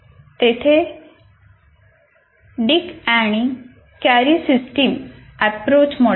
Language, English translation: Marathi, There is one is called Dick and Carey Systems Approach model